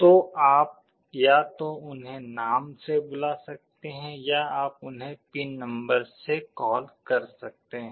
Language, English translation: Hindi, So, you can either call them by name or you can call them by the pin number